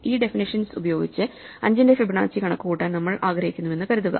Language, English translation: Malayalam, So, supposing we want to compute Fibonacci of 5 using this definition